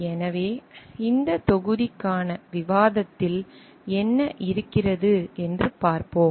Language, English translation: Tamil, So, let us see what is there in the discussion for this module